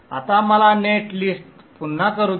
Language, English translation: Marathi, So let us generate the net list